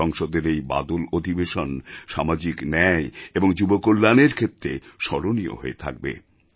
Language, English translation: Bengali, This Monsoon session of Parliament will always be remembered as a session for social justice and youth welfare